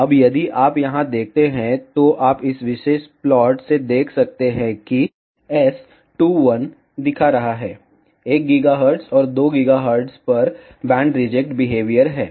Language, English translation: Hindi, Now, if you see here, you can seen from this particular plot is S2, 1 is showing, band reject behavior at 1 gigahertz, and at 2 gigahertz